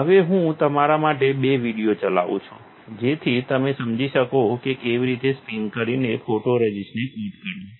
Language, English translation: Gujarati, Now, let me play two videos for you, so that you understand how to spin coat the photoresist